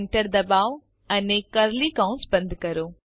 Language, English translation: Gujarati, Enter and close curly bracket